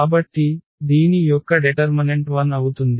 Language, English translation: Telugu, So, the determinant of this will be 0